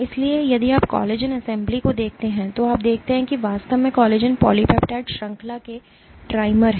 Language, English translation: Hindi, So, if you look at collagen assembly you see that there are actually collagen is trimmers of polypeptide chains